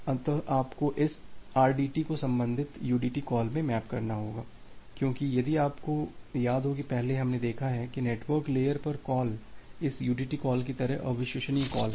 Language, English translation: Hindi, So, you need to map this rdt to the corresponding udt call because if you remember that earlier, we have seen that at the network layer the calls are unreliable calls like this udt calls